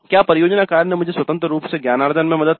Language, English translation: Hindi, Then project work helped me in pursuing independent learning